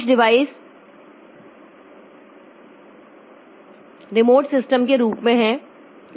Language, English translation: Hindi, Some device is on a remote system